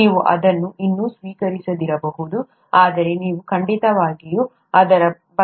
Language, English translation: Kannada, You may not still accept it but you will certainly have a feel for it